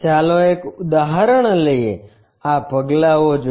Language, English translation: Gujarati, Let us take an example, look at these steps